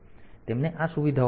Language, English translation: Gujarati, So, they have got these features